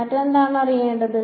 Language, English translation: Malayalam, What else should be known